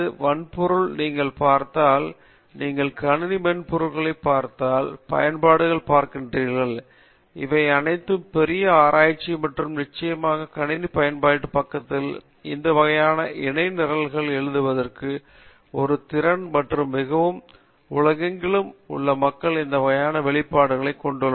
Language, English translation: Tamil, If you look at hardware, if you look at system software, you look at applications, these are all the big research areas and of course, on the system application side, writing these type of parallel programs also is a skill and very, very few people across the globe has this type of exposure